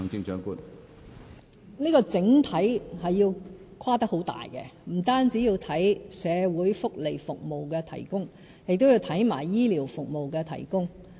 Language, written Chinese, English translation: Cantonese, 這個整體是要跨得很大的，不僅要檢討社會福利服務的提供，也要檢討醫療服務的提供。, A comprehensive review like this must be very extensive in scope indeed . It must cover not only the provision of social welfare services but also the delivery of health care services